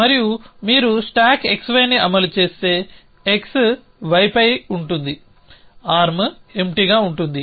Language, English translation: Telugu, And if you executes stack x y then x will be on y the arm will be empty